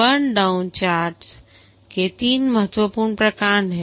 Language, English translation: Hindi, There are three important types of burn down charts